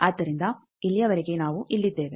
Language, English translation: Kannada, So, till now we are here